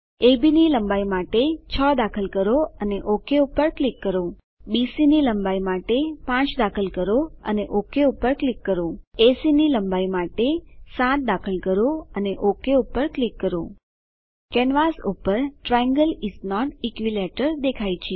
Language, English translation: Gujarati, Enter 6 for length of AB and click OK Enter 5 for length of BC and click OK Enter 7 for length of AC and click OK Triangle is not equilateral is displayed on the canvas